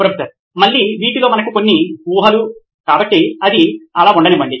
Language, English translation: Telugu, Again some of these are some assumptions that we have, so let it be that way